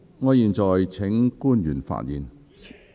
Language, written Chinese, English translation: Cantonese, 我現在請官員發言......, I now call upon the public officer to speak